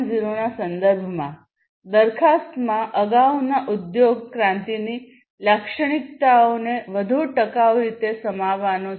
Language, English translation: Gujarati, 0 the proposition is to include the characteristics of previous industry revolution in a much more sustainable way